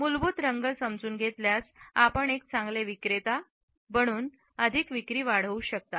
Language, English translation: Marathi, With an understanding of the basic colors, you can become a better marketer and make more sales